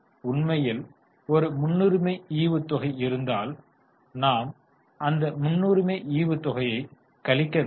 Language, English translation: Tamil, In fact if there is a preference dividend, we will deduct preference dividend also